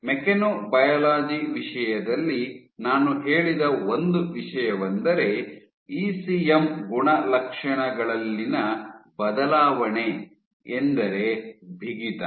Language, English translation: Kannada, So, one of the things which I said in terms of mechanobiology is the alteration in ECM properties namely stiffness